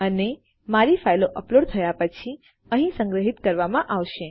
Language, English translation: Gujarati, And this is where my files are being stored once they have been uploaded